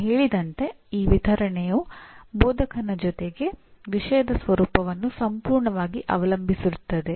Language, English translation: Kannada, As we said this distribution completely depends on the instructor as well as the nature of the subject